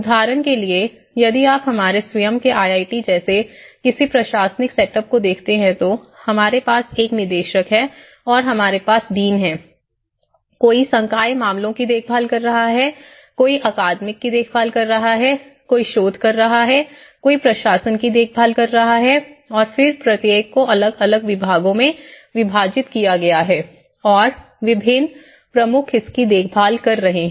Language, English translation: Hindi, Like for instance, if you look at any administrative setup like our own IIT we have a director then we have the deans and we have a director and we have the deans and so, someone is taking care of the faculty affairs, someone is taking of the academic, someone is taking with the research, someone is taking to administration and then each this is further divided into different departments and different heads are taking care of it